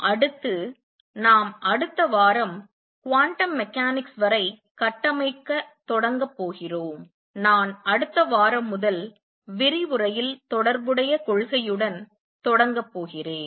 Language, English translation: Tamil, Next, we are going to start the next week the build up to quantum mechanics, and I am going to start with correspondence principal in the first lecture next week